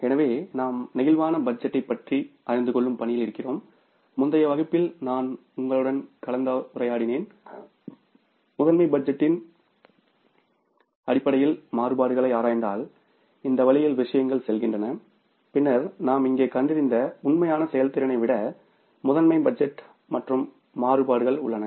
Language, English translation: Tamil, So, we are in the process of learning about the flexible budget and in the previous class I was discussing with you that if we analyze the variances on the basis of the master budget then this way the things go and we have here put the things like master budget then the actual performance and then the variances we have found out